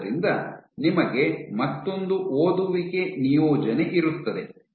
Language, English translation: Kannada, So, you will have another reading assignment